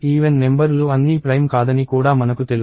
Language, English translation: Telugu, I also know that all the even numbers are not prime